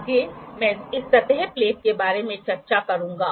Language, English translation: Hindi, Next I will discuss about this surface plate